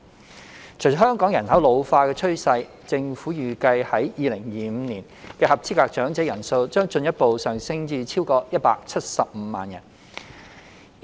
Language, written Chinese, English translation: Cantonese, 隨着香港人口老化的趨勢，政府預計在2025年的合資格長者人數將進一步上升至超過175萬人。, Having considered the trend of an ageing population in Hong Kong the Government expects the number of eligible elderly to rise further to more than 1.75 million by 2025